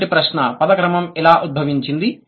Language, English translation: Telugu, Question one, how did the word order evolve